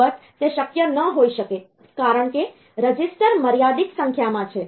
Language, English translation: Gujarati, Of course, that may not be possible because registers are limited in number